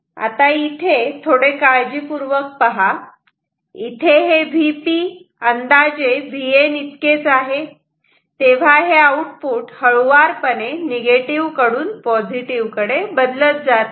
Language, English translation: Marathi, Here, were V P is approximately equal to V N, then the output changes gradually from minus to plus value